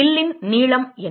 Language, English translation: Tamil, What is the length of arc